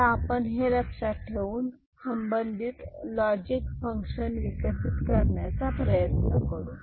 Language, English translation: Marathi, So, this is so, we will keep in our mind and try to develop the appropriate logic function for this